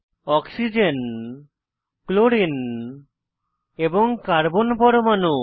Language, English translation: Bengali, Oxygen, chlorine and the carbon atom